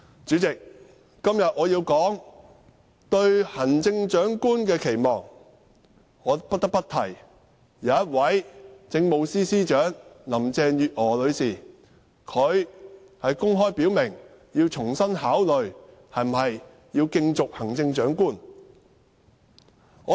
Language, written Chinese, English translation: Cantonese, 主席，我今天要說對行政長官的期望，我不得不提政務司司長林鄭月娥女士，她公開表明重新考慮是否競逐行政長官。, President today I am supposed to express my expectations for the Chief Executive but I must also say something about Chief Secretary for Administration Carrie LAM because she has openly said that she would reconsider running for the post of Chief Executive